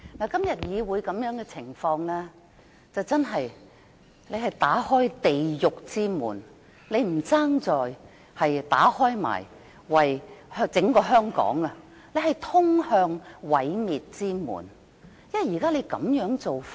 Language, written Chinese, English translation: Cantonese, 今天議會這種情況，真的是打開地獄之門，你倒不如也為整個香港打開毀滅之門，因為這種做法......, This situation in the Legislative Council today is really like opening the door to hell . Why not open the door of destruction of the whole territory too?